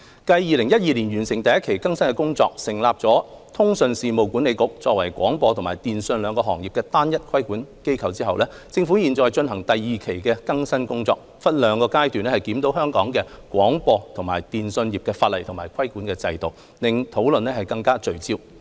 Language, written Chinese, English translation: Cantonese, 繼2012年完成第一期更新工作，成立通訊事務管理局作為廣播及電訊兩個行業的單一規管機構後，政府現正進行第二期的更新工作，分兩個階段檢討香港廣播及電訊業法例及規管制度，令討論更為聚焦。, Upon completion of the First Stage of the modernization exercise in 2012 with the establishment of the Communications Authority CA as the unified regulator of the broadcasting and telecommunications sectors the Government is currently conducting the Second Stage of the modernization exercise . In the Second Stage a review of the legislative and regulatory regimes governing Hong Kongs broadcasting and telecommunications sectors is being conducted in two phases to facilitate a more focused discussion